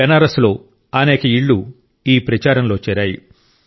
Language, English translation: Telugu, Today many homes inBenaras are joining this campaign